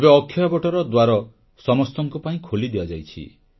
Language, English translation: Odia, Now the entrance gate of Akshayavat have been opened for everyone